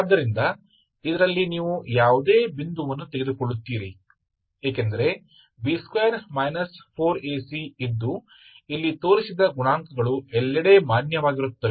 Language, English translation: Kannada, So in this you take any point because B square minus 4 AC is, this is the coefficient, coefficients are valid everywhere ok